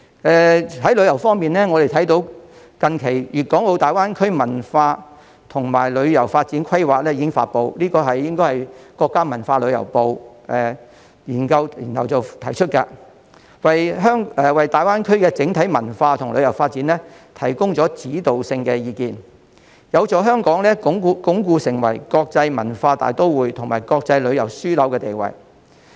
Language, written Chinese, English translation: Cantonese, 在旅遊方面，我們看到最近《粵港澳大灣區文化和旅遊發展規劃》已經發布，應該是國家文化和旅遊部研究後提出的，為大灣區的整體文化和旅遊發展提供指導性意見，有助香港鞏固成為國際文化大都會和國際旅遊樞紐的地位。, Regarding tourism we notice that the Ministry of Culture and Tourism recently promulgated after conducting a research the Culture and Tourism Development Plan for Guangdong - Hong Kong - Macao Greater Bay Area the Plan . The Plan provides a major guiding view on the culture and tourism development of the whole Greater Bay Area and it will help consolidate Hong Kongs role as an international cultural metropolis and travel hub